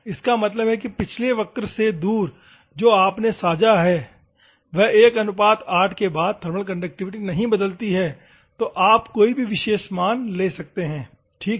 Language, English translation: Hindi, That is means off from the previous curve, what you can understand is thermal conductivity curve after 8, you can take any particular value ok